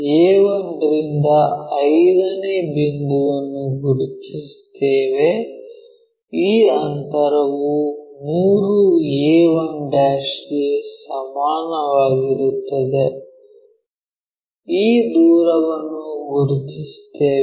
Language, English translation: Kannada, Locate a 1 to 5th point the distance coming from this our 3a 1' 3 to a 1'; this distance we locate it